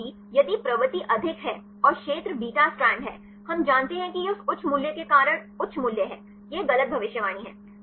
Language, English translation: Hindi, Because if the propensity is high and the region is beta strand; we know that this is high values because of that high value, it is wrongly predicted